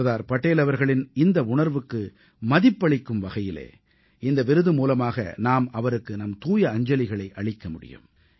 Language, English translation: Tamil, It is our way of paying homage to Sardar Patel's aspirations through this award for National Integration